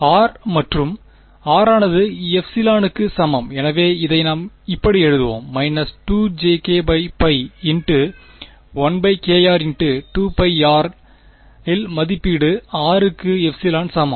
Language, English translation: Tamil, r and r is equal to epsilon right so we will just write this as minus 2 j k by pi into 1 by k r into 2 pi r evaluated at r is equal to epsilon